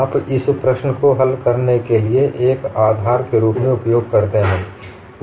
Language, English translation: Hindi, You use this as a basis to solve this problem